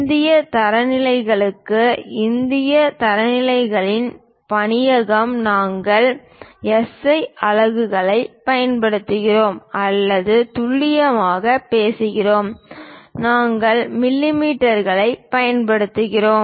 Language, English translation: Tamil, For Indian standards, Bureau of Indian standards we use SI units or precisely speaking we use millimeters